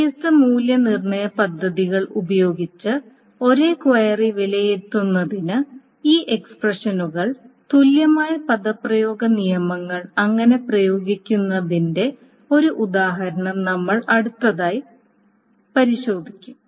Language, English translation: Malayalam, We will next go over an example of how to use this expression equivalent expression rules to evaluate the same query using different evaluation plans